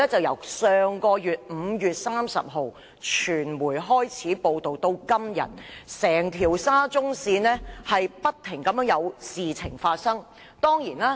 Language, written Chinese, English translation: Cantonese, 由5月30日傳媒開始報道至今，整條沙中線不斷出現事故。, Since the media started to report on the blunders of the Shatin to Central Link SCL on 30 May incidents have happened one after another